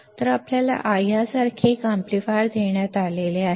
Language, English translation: Marathi, So, you have been given an amplifier like this